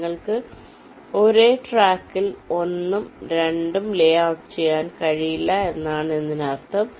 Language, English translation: Malayalam, it means you cannot layout one and two on the same track